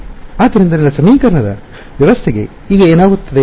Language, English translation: Kannada, So, what happens to my system of equations now